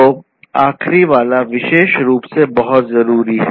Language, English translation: Hindi, So, the last one particularly is very important